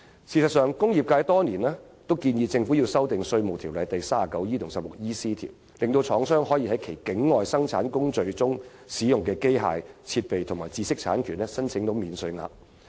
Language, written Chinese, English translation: Cantonese, 事實上，工業界多年來建議政府修訂《稅務條例》第 39E 及 16EC 條，令廠商可就其境外生產工序中使用的機械設備及知識產權申請免稅額。, Actually over all these years the industrial sector has proposed that the Government should amend sections 39E and 16EC of the Ordinance as a means of enabling Hong Kong manufacturers to claim tax allowances in respect of the machinery equipment and intellectual property rights used in their production procedures outside Hong Kong